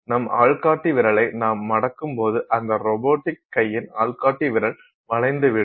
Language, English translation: Tamil, So, when you curl your index finger, the index finger of that robotic arm will curl